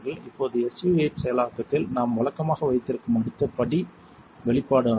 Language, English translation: Tamil, Now the next step that we usually have in SU 8 processing is the exposure